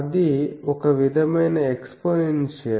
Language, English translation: Telugu, So, some sort of exponential